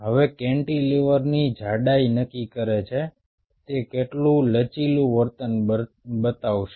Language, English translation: Gujarati, now, thickness of the cantilever decides how much flexing it will show